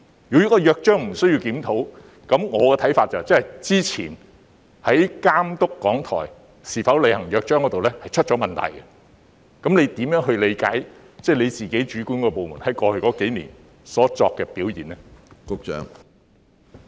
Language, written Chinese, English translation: Cantonese, 如真的不需要檢討《約章》，我認為那便意味過去在監督港台有否履行《約章》方面必然出了問題，那麼局長如何理解其轄下政策局在過去數年的工作表現呢？, In my opinion if there is really no need to review the Charter it would imply that something must have gone wrong in the overseeing of the compliance of RTHK with the requirements of the Charter in the past . What then is the Secretarys understanding of the performance of the Bureau under his purview over the past few years?